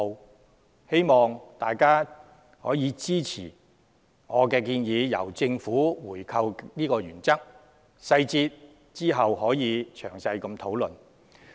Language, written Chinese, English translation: Cantonese, 我希望大家支持這個由政府回購的原則，其他細節日後可再詳細討論。, I hope Members will support such a principle of government buyback specifics of which can be discussed in detail in the future